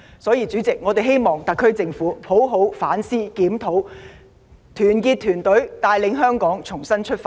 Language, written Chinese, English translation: Cantonese, 主席，所以我們希望特區政府好好反思和檢討，團結團隊，帶領香港重新出發。, Therefore President we hope that the SAR Government will seriously engage in introspection and conduct reviews unite its teams and lead Hong Kong to make a fresh start